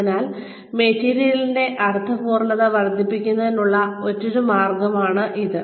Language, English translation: Malayalam, So, that is another way of increasing, the meaningfulness of the material